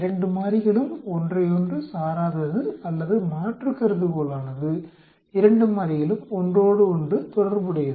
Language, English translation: Tamil, The 2 variables are independent of each other or the alternate hypothesis will be the 2 categorical variables are related to each other